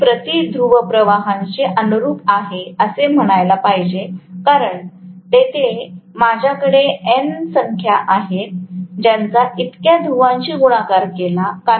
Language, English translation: Marathi, I should say this corresponds to flux per pole because there are N number of poles I can have; you know that multiplied by so many poles